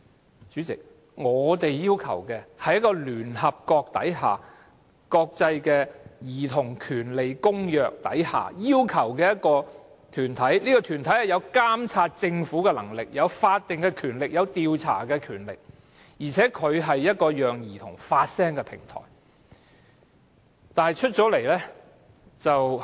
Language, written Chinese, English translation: Cantonese, 代理主席，我們要求的是按聯合國《兒童權利公約》成立的團體，團體具有監察政府的權力、有法定及調查權力，而且是一個讓兒童發聲的平台。, Deputy President our request is the setting up of an organization according to the United Nations Convention on the Rights of the Child . Such an organization should have the power to monitor the Government and the statutory power to conduct investigations and also serve as a platform for children to voice their views and needs